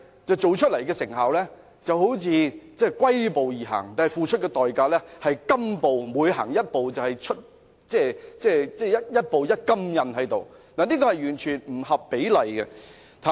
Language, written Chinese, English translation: Cantonese, 做出來的成效好像龜速般，但付出的代價卻是金步，一步一金印，這是完全不合比例的。, While Hong Kong is progressing at turtle speed it is actually paying an astronomical price leaving a golden print for every step it has taken and this picture is totally disproportionate